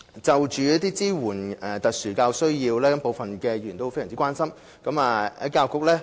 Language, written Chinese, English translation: Cantonese, 就支援特殊教育需要，部分議員非常關心。, Some Members are very concerned about SEN support